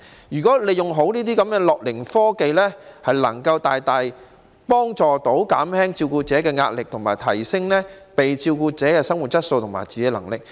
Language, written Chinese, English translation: Cantonese, 如果能夠善用樂齡科技，可以大大幫助減輕照顧者的壓力，亦可提升被照顧者的生活質素和自理能力。, If we can make good use of gerontechnology the pressure on carers will be substantially reduced and the quality of life and self - care abilities of the care recipients will also be considerably enhanced